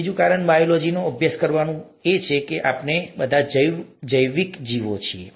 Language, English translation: Gujarati, Second reason is, second reason for studying biology is that biology is us, we are all biological creatures